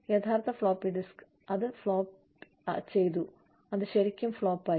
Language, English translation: Malayalam, And the actual floppy disk, that flopped is, it has really flopped